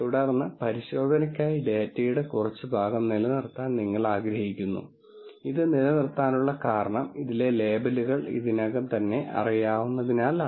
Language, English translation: Malayalam, And then you want to retain some portion of the data for testing and the reason for retaining this is because the labels are already known in this